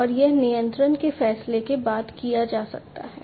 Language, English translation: Hindi, And this actuation can be done following control decisions